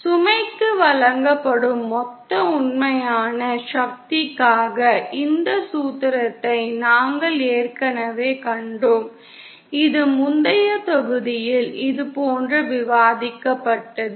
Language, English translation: Tamil, Now we had already come across this formula for the total real power that is delivered to the load and that was discussed in the previous module like this